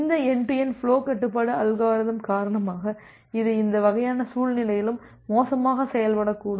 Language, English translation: Tamil, And because of that this end to end flow control algorithm, it may perform poorly in this kind of scenario